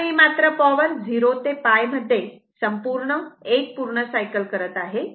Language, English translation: Marathi, I told you that because, in 0 to pi, it is completing 1 cycle